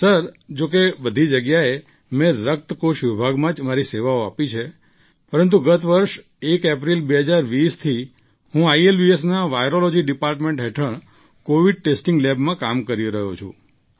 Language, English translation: Gujarati, Sir, although in all of these medical institutions I served in the blood bank department, but since 1st April, 2020 last year, I have been working in the Covid testing lab under the Virology department of ILBS